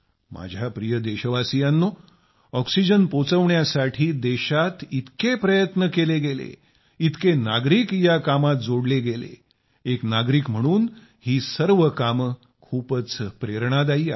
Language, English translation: Marathi, My dear countrymen, so many efforts were made in the country to distribute and provide oxygen, so many people came together that as a citizen, all these endeavors inspire you